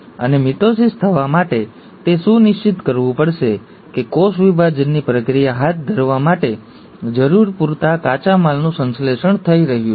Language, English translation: Gujarati, And for mitosis to happen, it has to make sure that the sufficient raw materials which are required to carry out the process of cell division are getting synthesized